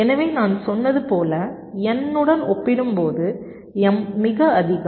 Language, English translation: Tamil, so, as i said, m is much greater as compared to n